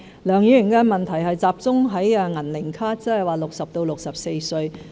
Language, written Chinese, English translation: Cantonese, 梁議員的問題集中在"銀齡卡"，即是60歲至64歲人士的福利。, Mr LEUNGs question focuses on the semi - elderly card which concerns the welfare for people aged between 60 and 64